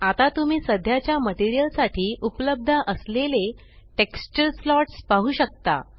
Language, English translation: Marathi, Now you can see all the texture slots available for the current material